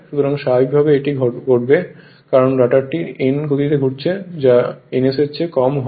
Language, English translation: Bengali, So, naturally what will happen this as rotor is rotating with speed n which is less than ns right which is less than ns